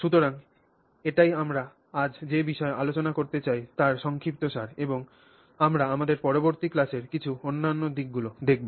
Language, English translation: Bengali, So, that's the summary of what we were, we would like to discuss today and we will look at some other aspects in our next class